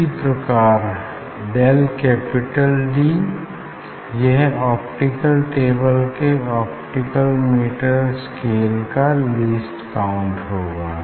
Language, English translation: Hindi, Similarly, del capital D this is the least count of the optical scale meter scale of the optical table